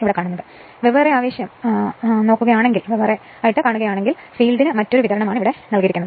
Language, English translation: Malayalam, So, if you look into that a separately excited means the field actually is given a different your supply right